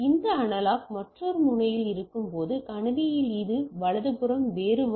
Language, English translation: Tamil, So, this analog to the another end while at the in system it is the other way around right